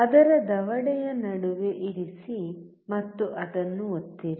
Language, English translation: Kannada, Place it in between its jaw and just press it